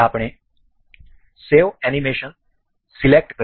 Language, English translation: Gujarati, We will select save animation